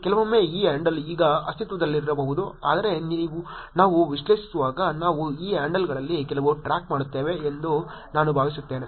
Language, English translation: Kannada, Sometimes, this handle may not exist now but I think when we were analyzing, we keep track of some of these handles also